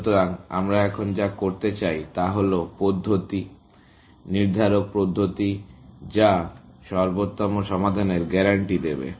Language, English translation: Bengali, So, what we want to do now is to look at methods, deterministic methods, which will guarantee optimal solutions